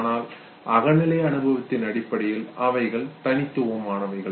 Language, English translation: Tamil, But then in terms of subjective experience they are unique